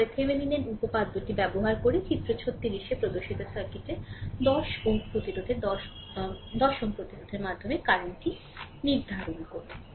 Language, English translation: Bengali, Next using Thevenin’s theorem determine current through 10 ohm resistance right to 10 ohm resistance of the circuit shown in figure 36